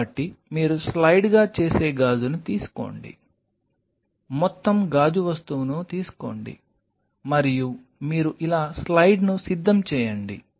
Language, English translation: Telugu, So, you just take the glass you make a slide take the whole glass thing and you prepare a slide like this